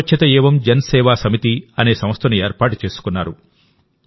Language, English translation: Telugu, He formed an organization called Yuva Swachhta Evam Janseva Samiti